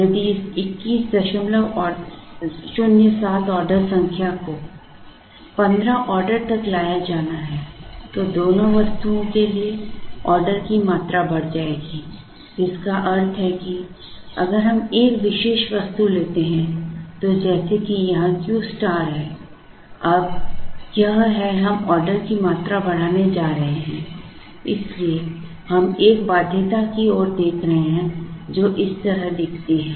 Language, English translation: Hindi, 07 orders has to be brought down to 15 orders then the order quantity for both the items will go up, which means this constraint if we take a particular item is like saying here is Q star, now, this constraint is like saying now we are going to increase the order quantity; so we are looking at a constraint which looks like this